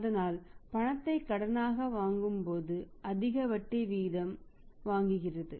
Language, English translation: Tamil, And when the lend as a loan which are high rate of interest